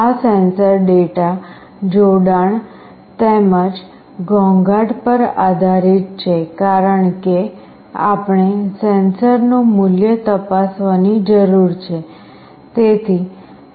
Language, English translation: Gujarati, This sensor data depends on connection as well as the noise as we need to check the value of the sensor